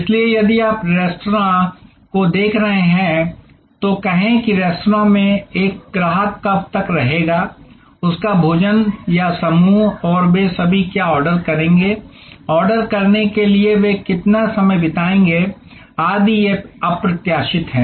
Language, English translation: Hindi, So, if you are looking at a, say restaurant, then how long a customer will be in the restaurant, having his or her meal or the group and what all they will order, how long they will spend between ordering, etc, these are unpredictable